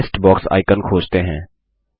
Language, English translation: Hindi, Let us find our list box icon